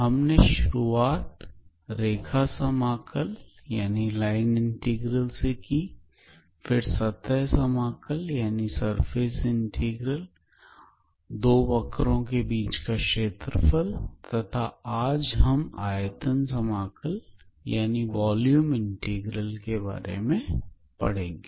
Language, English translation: Hindi, So, we started with line integral, then surface integral, area between two curves and today we will start with a volume integral